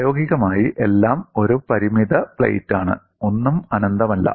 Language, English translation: Malayalam, In practice, everything is a finite plate; nothing is infinite